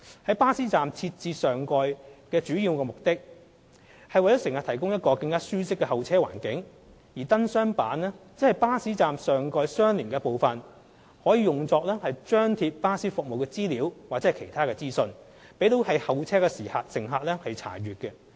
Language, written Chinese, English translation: Cantonese, 在巴士站設置上蓋的主要目的是為乘客提供一個更舒適的候車環境，而燈箱板則是巴士站上蓋的相連部分，可用作張貼巴士服務資料或其他資訊，供候車乘客查閱。, The primary objective of adding shelters to bus stops is to provide passengers with a more comfortable waiting environment . The light box panel on the other hand is an extension of a bus shelter . The panel can be used for displaying bus service details or other information for waiting passengers reference